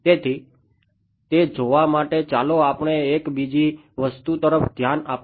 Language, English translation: Gujarati, So, to see that let us have a look at one other thing